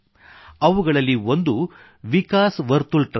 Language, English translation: Kannada, Of these one is Vikas Vartul Trust